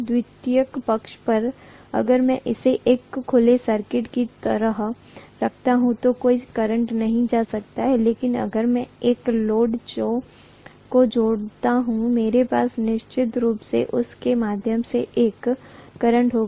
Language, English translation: Hindi, On the secondary side, if I keep it like an open circuit, there is not going to be any current but if I connect a load, I will definitely have a current through that as well